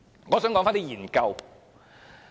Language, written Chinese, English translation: Cantonese, 我想說說一些研究。, I would like to talk about some studies here